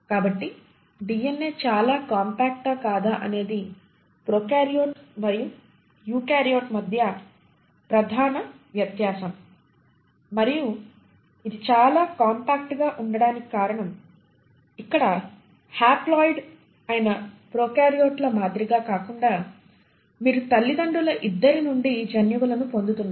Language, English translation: Telugu, So this has been the major difference between the prokaryote and the eukaryote whether DNA is far more compact and the reason it is far more compact is because unlike the prokaryotes which are haploid here you are getting genes from both set of parents, the father as well as the mother